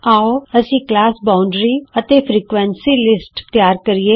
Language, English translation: Punjabi, Let us create the class boundary list and the frequency list